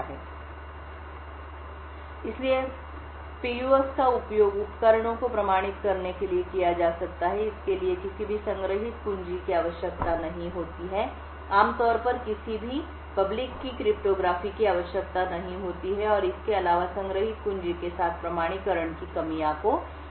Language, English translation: Hindi, So, Physically Unclonable Functions can be used for authenticating devices, it does not have require any stored keys, typically does not require any public key cryptography, and furthermore it also, alleviates the drawbacks of authentication with the stored keys